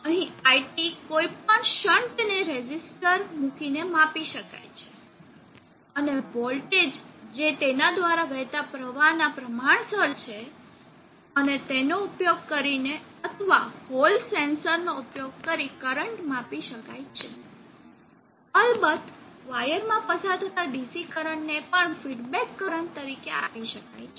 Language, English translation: Gujarati, IT can be measured any current can be measured by putting a shunt resistor here and taking the voltage which is proportional to the current flowing through that and using that for feedback, or one can use a Hall sensor and sensed the current even the DC current flowing through the wire and given that one as feedback